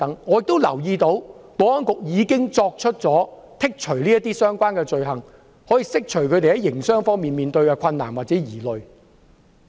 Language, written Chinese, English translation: Cantonese, 我也留意到，保安局已剔除相關罪類，釋除他們在營商方面的疑慮。, I have also noted that the Security Bureau has removed the relevant items of offences to allay their concerns in business operation